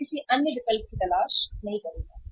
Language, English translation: Hindi, I will not look for any other alternative